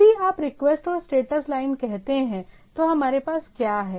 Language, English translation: Hindi, So, if you say the request and status line, so what we have